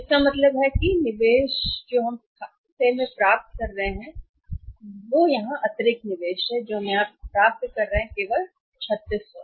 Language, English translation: Hindi, So, it means information, investment we are making in the accounts receivables here additional investment that we are making the accounts receivable here is that is only 3600